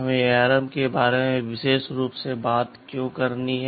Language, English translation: Hindi, WSo, why do you we have to talk specifically about ARM